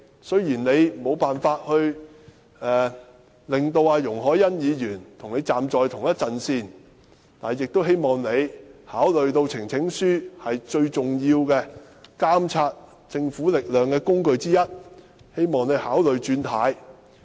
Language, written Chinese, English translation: Cantonese, 雖然她無法令到容海恩議員跟她站在同一陣線，但亦希望她考慮到呈請書是監察政府的最重要工具之一，因而考慮"轉軚"。, I expressed the hope that although Mrs IP could not persuade Ms YUNG Hoi - yan to side with her she herself would still consider making a U - turn having regard to the significance of presenting petitions as a means of monitoring the Government